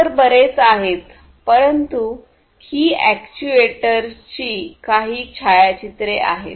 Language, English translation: Marathi, There are many others, but these are some of these pictures of actuators